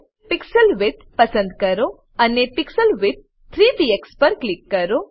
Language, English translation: Gujarati, Select Pixel width and click on the pixel width 3 px